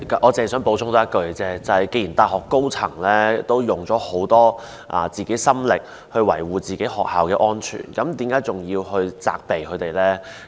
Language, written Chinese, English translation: Cantonese, 我只想補充一句，既然大學高層已用了很多心力維護學校的安全，為何仍要責備他們呢？, I wish to add one point and that is since senior management staff of universities have been making great effort to ensure the safety of campus why should we blame them?